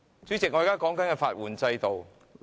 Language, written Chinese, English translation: Cantonese, 主席，我正論述法援制度。, I am discussing the legal aid system